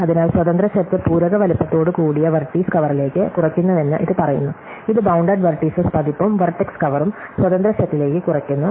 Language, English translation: Malayalam, So, this says that independent set reduces to vertex cover with the complementary size, this is the bounded vertex version and vertex cover reduces to independence set